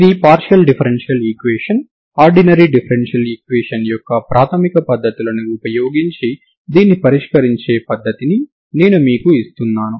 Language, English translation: Telugu, This is a partial differential equation I am just giving you the method to solve this one just using basic methods of ordinary differential equations